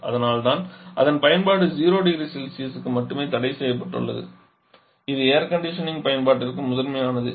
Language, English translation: Tamil, Its application is restricted only above 0 degree Celsius that is primary to air conditioning application